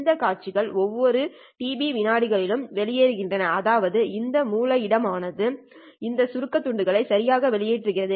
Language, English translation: Tamil, These sequences are coming out every tb seconds, which means that this source is putting out these abstract bits, right